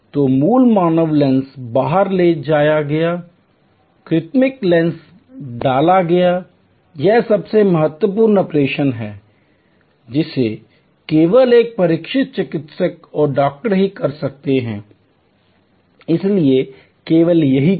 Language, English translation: Hindi, So, original human lens taken out, the artificial lens inserted, this is the most critical operation could only be performed by a trained doctor and the doctor therefore, did only this